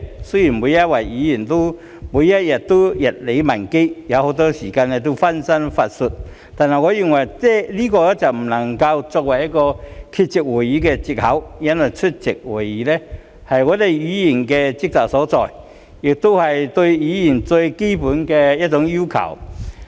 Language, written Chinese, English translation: Cantonese, 雖然每位議員每天都日理萬機，很多時候會分身乏術，但我認為這不能作為缺席會議的藉口，因為出席會議是議員的職責所在，亦是對議員的最基本要求。, Although Members have to deal with a myriad of affairs every day and they may not be able to spare time very often I do not think this is an excuse for not attending meetings because it is the duty of Members to attend meetings and this is the most basic requirement for Members